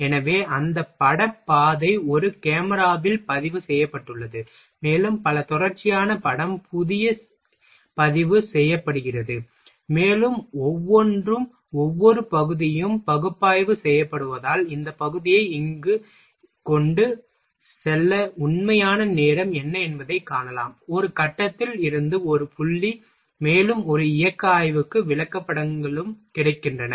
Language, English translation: Tamil, So, those image path is recorded in a camera, and multiple continuous picture is recorded, and each after that each picture is analyzed to see what is the actual time is required to transport this part to here, from a point a to point b, and also charts is also available for a motion study